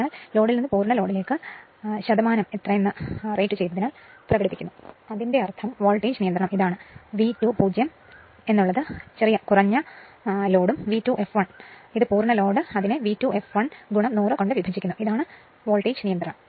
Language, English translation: Malayalam, So, from no load to full load expressed as percentage of it is rated voltage right; that means, voltage regulation is this is your V 2 0 the low load and this is V 2 f l the full load divided by V 2 f l into 100, this is the voltage regulation